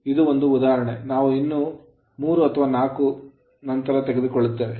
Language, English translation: Kannada, Now this one example we will take another 3 or 4 later